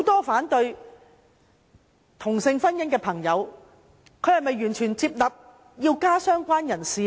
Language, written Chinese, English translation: Cantonese, 反對同性婚姻的朋友是否完全接納加入"相關人士"呢？, Do people opposing same - sex marriage fully accept the addition of related person?